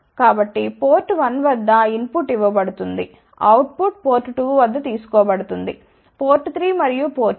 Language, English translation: Telugu, So, input is given at port 1, output is taken at port 2, port 3 and port 4